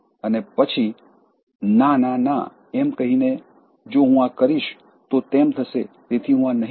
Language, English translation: Gujarati, And then saying no, no, no if I do this, that will happen so, I will not do this